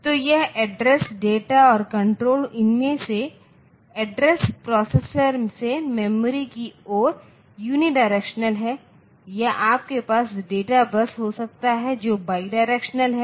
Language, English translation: Hindi, So, this address data and control out of that this address is unidirectional from the processor towards the memory or you can have the data bus which is bi directional